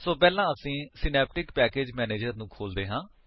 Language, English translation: Punjabi, So, first let us open Synaptic Package Manager